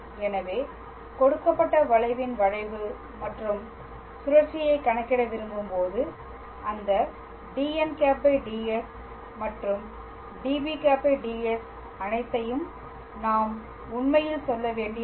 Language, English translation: Tamil, So, we see that when we want to calculate the curvature and torsion of a given curve we really do not have to go through all those dn ds and db ds